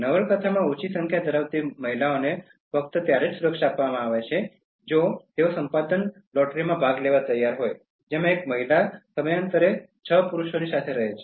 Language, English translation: Gujarati, Women, who are less in number in the novel are given security only if they are willing to participate in the procreation lottery in which one woman has to live with six men periodically